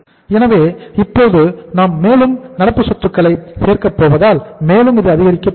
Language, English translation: Tamil, So it means now we are going to add up more current assets so this is going to further increase